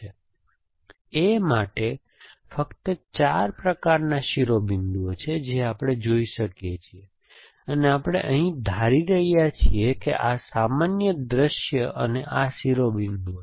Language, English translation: Gujarati, So, for A, these are the only 4 kinds of vertex that we can see and we are assuming here that these are generic views and these vertex